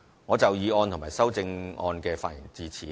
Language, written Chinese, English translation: Cantonese, 我就議案及修正案的發言至此。, So much for my speech on the motion and its amendments